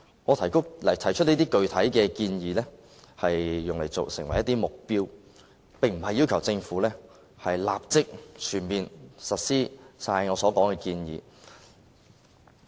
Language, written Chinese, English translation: Cantonese, 我提出的這些具體建議，是作為目標，並非要求政府立即全面實施我所說的建議。, These specific suggestions made by me just serve as objectives . I am not asking the Government to implement my suggestions full scale right away